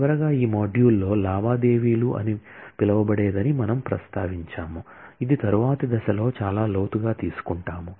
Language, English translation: Telugu, Finally, in this module, we mentioned that, there is something called transactions, which we will take up at a later stage, in much depth